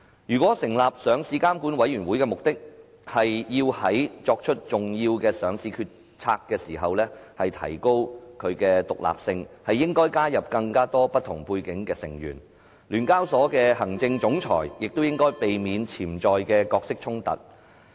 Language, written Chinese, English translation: Cantonese, 如果成立上市監管委員會的目的，是要在作出重要上市決策的時候提高其獨立性，便應該加入更多不同背景的成員，而聯交所的行政總裁亦應該避免潛在的角色衝突。, If the objective of establishing LRC is to strengthen the independence in the course of making important listing decisions then more members of different backgrounds should be added . In the meantime the Chief Executive of SEHK should avoid the potential role conflict